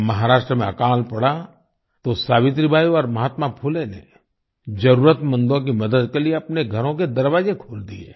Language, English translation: Hindi, When a famine struck in Maharashtra, Savitribai and Mahatma Phule opened the doors of their homes to help the needy